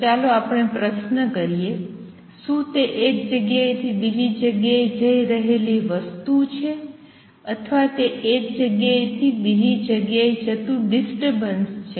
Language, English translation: Gujarati, So, let us raise this question; is it a material moving from one place to another or is it a disturbance moving from one place to another and the answer is second one